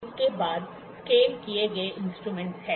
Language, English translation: Hindi, Next is scaled instruments